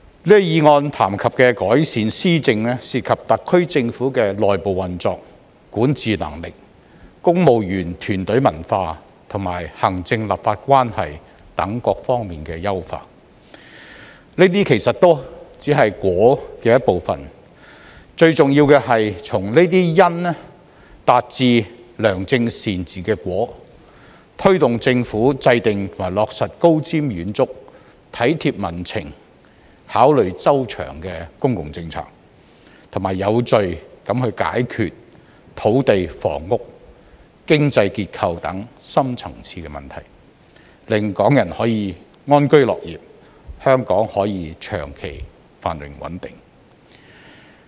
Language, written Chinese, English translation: Cantonese, 這項議案談及的改善施政，涉及特區政府的內部運作、管治能力、公務員團隊文化，以及行政立法關係等各方面的優化，這些其實都只是"因"的一部分，最重要的是從這些"因"達致"良政善治"的"果"，推動政府制訂及落實高瞻遠矚、體貼民情、考慮周詳的公共政策，並且有序解決土地、房屋、經濟結構等深層次問題，令港人可以安居樂業，香港可以長期繁榮穩定。, This motion touches on the improvement of governance which involves the enhancement of the internal operation and governance capability of the SAR Government civil service culture executive - legislature relationship and so on . These are actually just part of the causes . What matters the most is to achieve the effect of good governance from these causes namely by pushing for the Government to formulate and implement forward - looking and well - thought - out public policies that are in tune with public sentiment and to solve the deep - seated problems related to land housing economic structure etc